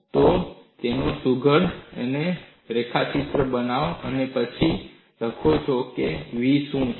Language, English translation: Gujarati, So, make a neat sketch of it and then write down what is v